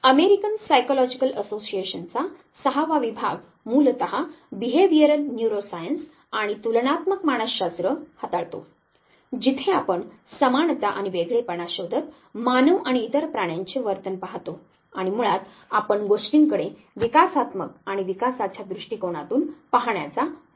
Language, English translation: Marathi, Basically now handles the behavioral neuroscience and comparative psychology comparative psychology of course where you look at the behavior of humans and other animals searching for similarities and differences between them and basically you try to, look at things from evolutionary and developmental perspective